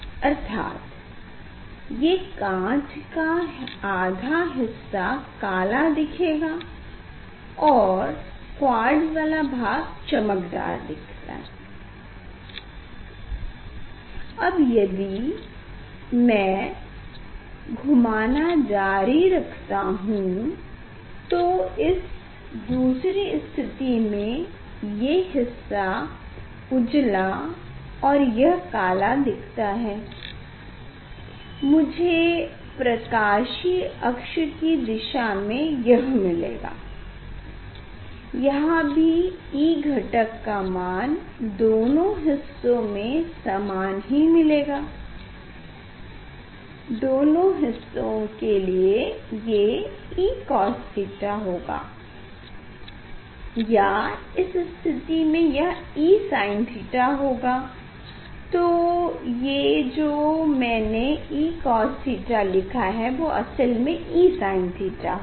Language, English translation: Hindi, that means, this half glass half looks dark and this quartz part will looks b from equal in intensity now next stage I got this one half is b, one half is dark then if I continue the rotation, I will get this position optic axis; in this position also you will see this is equal angle of this electric component in both half, from both half this E cos theta in this case I think it will be sin theta, so E cos theta have written it should be E sin theta and in this position it will be E cos theta